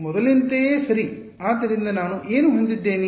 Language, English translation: Kannada, Same as before right; so, what will I have